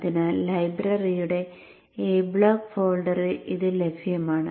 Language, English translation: Malayalam, So it is available in that a block folder of the library